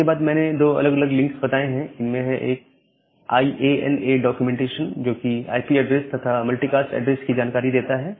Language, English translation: Hindi, And then I have pointed two different links, one is the IANA documentation; that talks about the IPv6 addresses, multicast addresses and another is the 6NET website